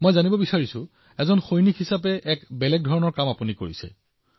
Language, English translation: Assamese, I would like to know as a soldier you have done a different kind of work